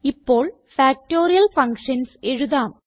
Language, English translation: Malayalam, Now let us write Factorial functions